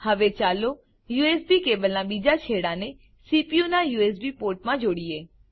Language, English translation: Gujarati, Now lets connect the other end of the cable, to the CPUs USB port